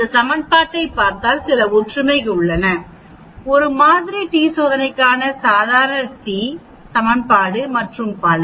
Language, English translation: Tamil, There are some similarities if you look at it this equation and the normal t equation for one sample t test and so on